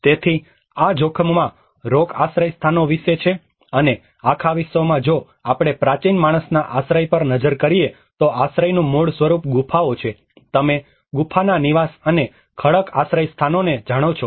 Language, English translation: Gujarati, \ \ So, this is about rock shelters at risk; and in the whole world if we look at the ancient man's shelter, the very basic form of shelter is the caves, you know the cave dwellings and the rock shelters